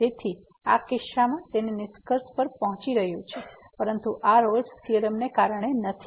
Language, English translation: Gujarati, So, in this case it is reaching the conclusion, but this is not because of the Rolle’s Theorem